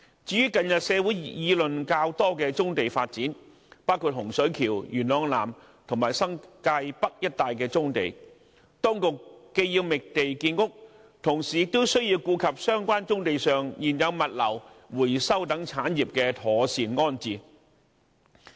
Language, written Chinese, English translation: Cantonese, 至於近日社會議論較多的棕地發展，包括洪水橋、元朗南和新界北一帶棕地，當局既要覓地建屋，同時亦需顧及相關棕地上現有物流、回收等產業的妥善安置。, When it comes to the development of brownfield sites including those in the areas of Hung Shui Kiu Yuen Long South and the New Territories North which has been much discussed in the community recently while the authorities should identify land for housing construction they should also have regard to the proper resiting of the existing operations relating to logistics recycling etc on such brownfield sites